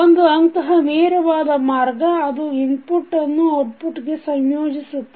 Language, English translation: Kannada, One such path is the direct path which you can see which is connecting input to output